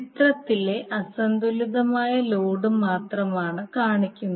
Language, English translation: Malayalam, So we are showing only the unbalanced load in the figure